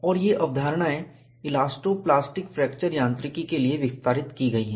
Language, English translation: Hindi, And, these concepts are extended for elasto plastic fracture mechanics